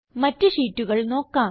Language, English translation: Malayalam, But what about the other sheets